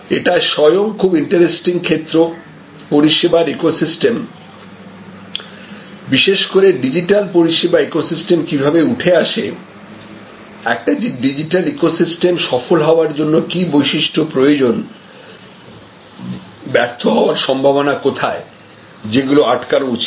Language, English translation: Bengali, This in itself is a very, very interesting area, that how the service ecosystems or I would say digital service ecosystems emerge, what are the properties when a digital ecosystem is successful, what are the possibilities of failure one has to guard against